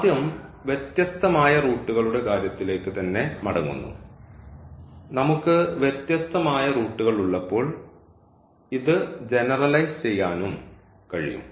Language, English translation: Malayalam, So, first getting back to the distinct roots, so when we have distinct root we can also generalize this